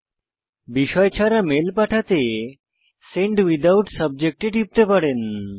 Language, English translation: Bengali, To send the mail without a Subject Line, you can click on Send Without Subject